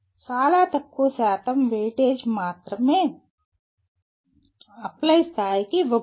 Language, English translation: Telugu, And only very small percentage of weightage is given to Apply level